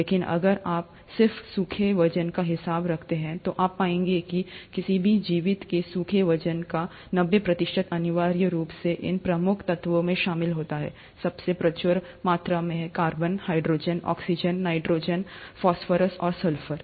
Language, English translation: Hindi, But if you were to just account for the dry weight, you’ll find that the ninety percent of a dry weight of any living being essentially consists of these major elements – the most abundant being the carbon, hydrogen, oxygen, nitrogen, phosphorous and sulphur